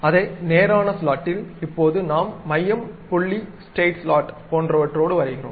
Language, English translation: Tamil, Now, in the same straight slot, now we are going with something like center point straight slot